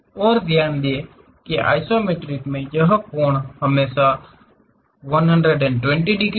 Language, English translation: Hindi, And note that in the isometric, this angle always be 120 degrees